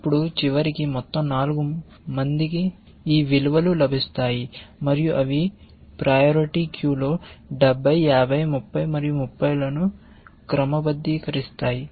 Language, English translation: Telugu, Then, eventually all 4 will get plus these values, and they get sorted 70, 50, 30, and 30 in the priority queue